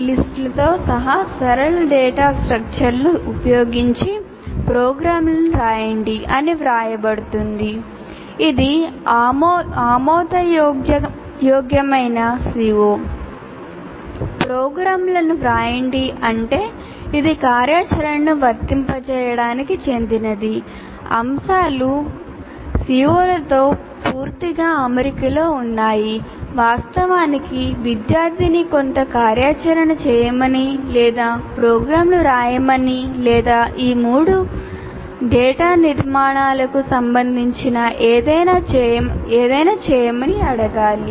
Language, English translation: Telugu, And fairly clear, right programs would mean it belongs to apply activity and the items that are fully in alignment with the CO, the items should actually ask the student to perform some activity or write programs or do something related to these three data structures